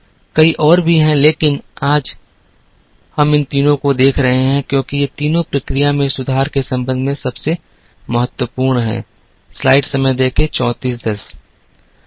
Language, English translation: Hindi, There are many more but,we are looking at these three today, because these three are the most important ones with respect to process improvement